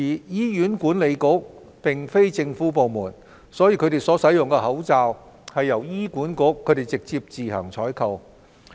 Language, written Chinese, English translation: Cantonese, 醫院管理局並非政府部門，其所使用的口罩由該局自行採購。, The Hospital Authority HA is not a government department and procures masks on their own